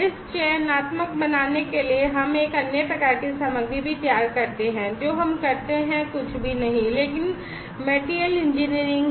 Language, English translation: Hindi, In order to make it selective we also do another type of material prepare whatever we do that is nothing, but materials engineering